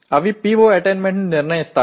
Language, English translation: Telugu, They will determine the PO attainment